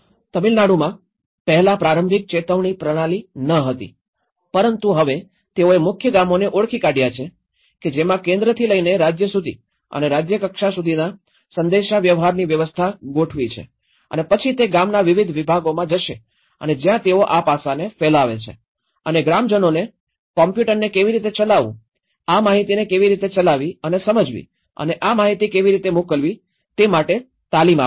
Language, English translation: Gujarati, In Tamil Nadu, before that there was not proper early warning systems but now what they did was, they have identified the core villages which will have set up of the communication systems from the central level to the state level and then it goes to the village nodes and where they disseminate this aspect and the train the villagers to how to operate the computers, how to operate and understand this information and how to send this information